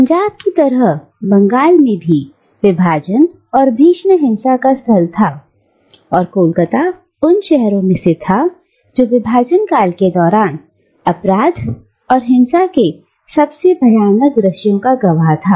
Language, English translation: Hindi, Now, just like Punjab, Bengal was also the site of partition and of gruesome violence and Calcutta was one of the cities which witnessed the most horrible scenes of crime and violence during the partition period